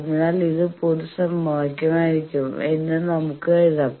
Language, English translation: Malayalam, So, that just like this we can write that this will be the generic equation